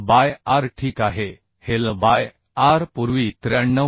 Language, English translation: Marathi, 7 L by r okay This L by r was calculated earlier as 93